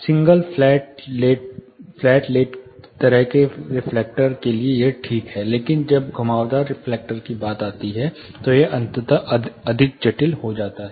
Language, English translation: Hindi, For a single flat late kind of reflector it is OK, but when it comes to curved reflectors, it is getting eventually more complicated